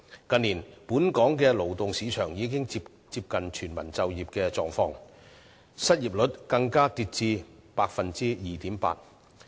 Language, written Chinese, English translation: Cantonese, 近年來，本港勞動市場已接近達致全民就業的水平，失業率更跌至 2.8%。, In recent years the labour market in Hong Kong has nearly reached full employment with the unemployment rate even falling to 2.8 %